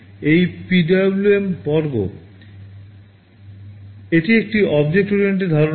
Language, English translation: Bengali, This PwmOut is the class; this is an object oriented concept